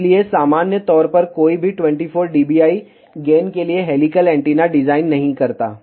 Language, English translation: Hindi, So, in general nobody designs helical antenna for 24 dBi gain